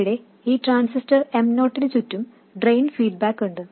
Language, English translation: Malayalam, Here we have drain feedback around this transistor M0